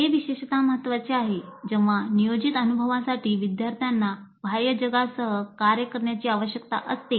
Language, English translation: Marathi, This is particularly important when the planned experience requires the students to work with the outside world